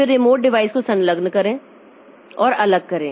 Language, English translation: Hindi, Then attach and detach remote devices